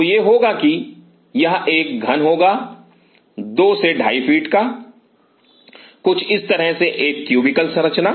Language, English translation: Hindi, So, it will be it will be a cube of 2 to 2 and half feet a cubical structure something like this